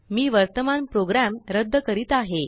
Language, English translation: Marathi, I will clear the current program